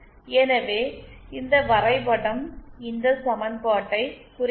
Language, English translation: Tamil, So this graph represents this equation